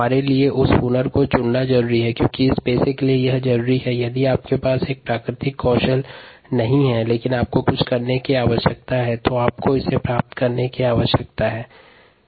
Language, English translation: Hindi, it is necessary for us to pick up that skill because it is necessary for this profession and ah, if you dont have a natural skill but you need to do something, then you need to pick it up